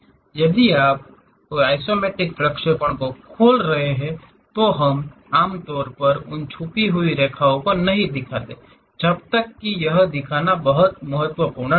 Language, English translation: Hindi, If you are opening any isometric projections; we usually do not show those hidden lines, unless it is very important to show